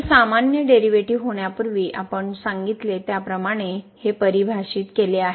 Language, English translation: Marathi, This is defined as we said before it is the usual derivative